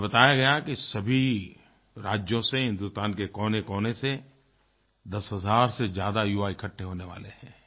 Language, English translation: Hindi, I have been told that 10,000 young people will gather from all over India